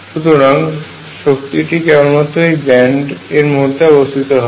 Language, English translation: Bengali, So, energy lies only in these bands